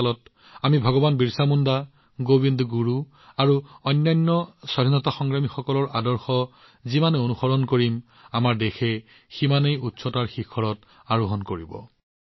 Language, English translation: Assamese, The more faithfully we follow the ideals of Bhagwan Birsa Munda, Govind Guru and other freedom fighters during Amrit Kaal, the more our country will touch newer heights